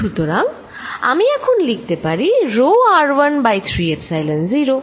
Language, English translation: Bengali, So, I am going to write this at rho r1 divided by 3 Epsilon 0